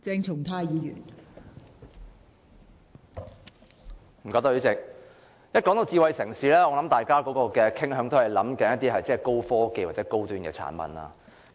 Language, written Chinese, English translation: Cantonese, 代理主席，談到智慧城市，相信大家都傾向想到高科技或高端產品。, Deputy President talking about smart city I think people tend to think of high - tech or high - end products